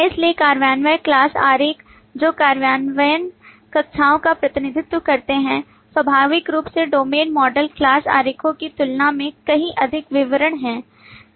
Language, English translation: Hindi, So implementation class diagrams, which represent implementation classes, naturally have far more details than the domain model class diagrams